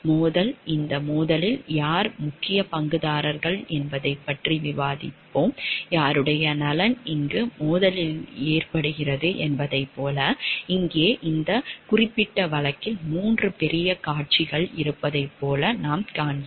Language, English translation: Tamil, Conflict of interest we will discuss like who are the major stakeholders in this conflict of interest, like whose interest gets into conflict over here; like, here in this particular case what we find like there are 3 major parties